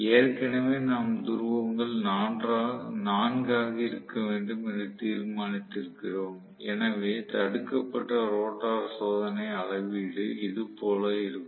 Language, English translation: Tamil, So, already we have deduced the poles have to be 4 poles then block rotor test reading is somewhat like this